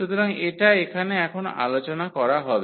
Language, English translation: Bengali, So, that will be the discussion now here